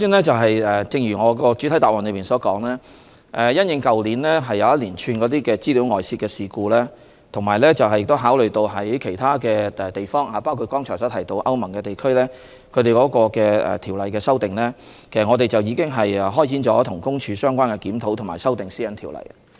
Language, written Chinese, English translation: Cantonese, 正如我在主體答覆中所說，因應去年發生的一系列個人資料外泄事故，以及考慮到其他地方，包括剛才提到歐盟地區對有關條例的修訂，政府和公署已開展相關的檢討和修訂《私隱條例》的工作。, As I mentioned in the main reply due to the spate of major data breach incidents last year and considerating the practices of other places including the amendment of the relevant legislation by EU the Government and PCPD have commenced the work relating to the review and amendment of PDPO